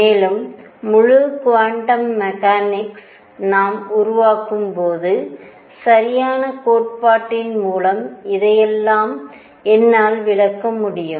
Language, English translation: Tamil, And when we develop the full quantum mechanics I should be able to explain all this through proper theory